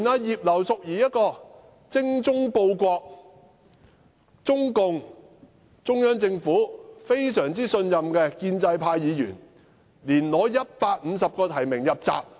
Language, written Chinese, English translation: Cantonese, 連葉劉淑儀議員這種精忠報國、中央政府非常信任的建制派議員，也無法爭取150個提名入閘。, Even Mrs Regina IP a pro - establishment Member who is so loyal to the country and trusted by the Central Government has failed to get 150 nominations to qualify as a candidate